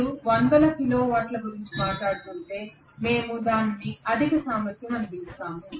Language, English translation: Telugu, So if it is tens of kilo watts we may still call it as low capacity